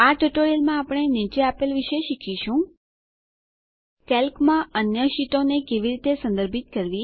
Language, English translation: Gujarati, In this tutorial we will learn the following: How to reference other sheets in Calc